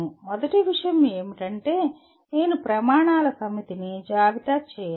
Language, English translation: Telugu, First thing is I have to list a set of criteria